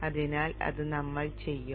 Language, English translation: Malayalam, So that's what we will do